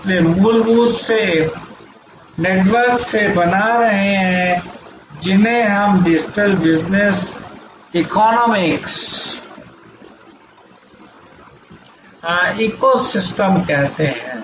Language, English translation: Hindi, So, fundamentally the networks are creating what we call digital business ecosystem